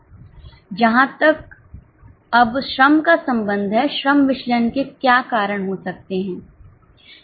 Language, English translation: Hindi, Now, as far as the labour is concerned, what could be the reasons for labour variances